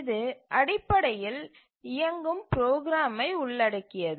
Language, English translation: Tamil, It basically involves running program